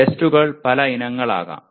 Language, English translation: Malayalam, Tests can be many varieties